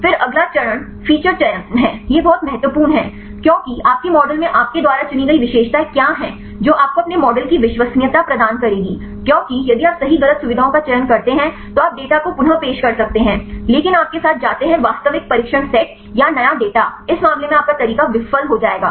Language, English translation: Hindi, Then the next step is feature selection this is very important, because what are the features you select in your model that will give you the reliability of your model because if you choose wrong features right then you can reproduce the data, but in you go with the real test set or the new data in this case your method will fail